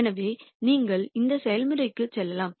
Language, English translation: Tamil, So, you could go through this process